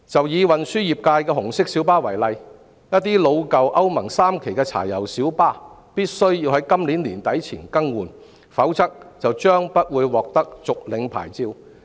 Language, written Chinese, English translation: Cantonese, 以運輸業界的紅色小巴為例，一些老舊歐盟 III 期柴油小巴必須在今年年底前更換，否則將不獲續牌。, Take the red minibuses of the transport industry as an example . Owners of some old Euro III diesel minibuses must replace their vehicles by the end of this year or see their licences expired with no renewal